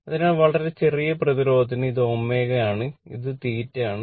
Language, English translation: Malayalam, So, for very small resistance this this is your omega and this is theta